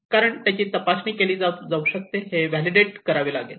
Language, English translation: Marathi, Because, how this could be tested how this has to be validated